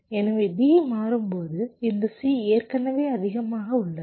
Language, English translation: Tamil, so when d is changing this, c is already high